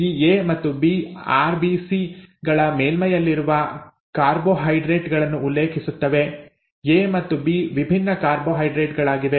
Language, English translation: Kannada, In terms of what actually happens, this A and B refer to carbohydrates on the surface of RBCs, A and B are different carbohydrates